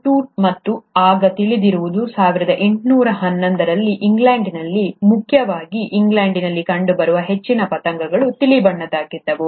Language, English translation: Kannada, Tutt and what was known then is that way back in 1811, most of the moths which were found in England , mainly in England were light colored